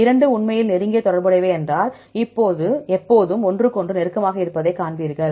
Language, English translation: Tamil, If two are really close related, then always you get this close to each other